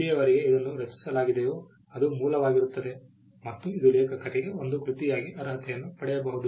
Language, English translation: Kannada, As long as it is created, it is original, and it is attributed to an author it can qualify as a work